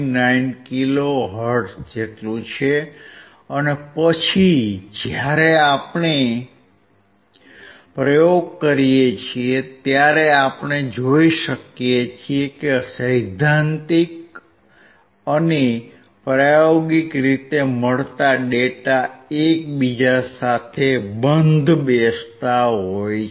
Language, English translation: Gujarati, 59 kilo hertz and then when we perform the experiment we could see that theoretically and experimentally the data is matching